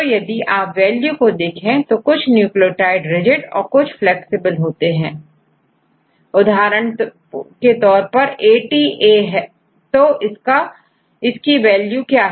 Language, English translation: Hindi, So, now if you see these values, then it will few nucleotides which are rigid and some of them are flexible for example, ATA its ATA; right ATA what is the value for ATA